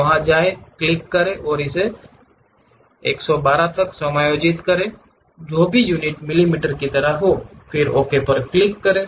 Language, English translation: Hindi, Click go there, adjust it to 112 whatever the units like millimeters, then click Ok